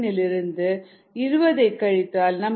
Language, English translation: Tamil, seventeen point seven minus twenty is minus two